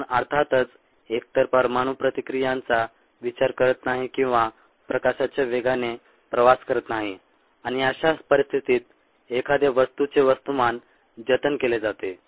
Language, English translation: Marathi, we are, of course, not considering either nuclear reactions or travelling at the speed of light, and in such situations the mass of a species is conserved